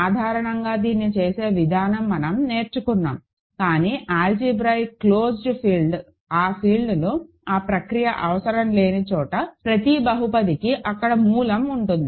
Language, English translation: Telugu, The procedure to do that in general we have learned, but algebraically closed fields are those fields, where that procedure is not needed, every polynomial has a root there